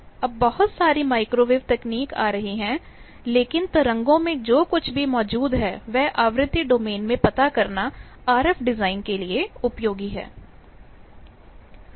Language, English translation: Hindi, There are lot of microwave technology coming up, but whatever is existing in wave frequency domain is useful thing for RF design